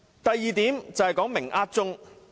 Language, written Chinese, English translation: Cantonese, 第二點，是"明呃鐘"。, Second they have been blatantly milking the clock